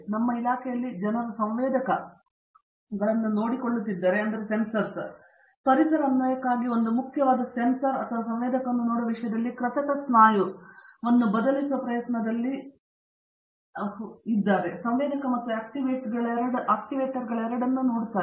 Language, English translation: Kannada, LetÕs say for in our department, where the people are looking at sensors, either for a environmental application which is a very chief sensor or looking at sensor in terms of trying to replace an artificial muscle where itÕs both sensor as well as actuator